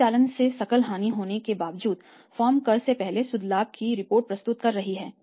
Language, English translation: Hindi, Despite having the gross loss from operations the firm is reporting net profit before tax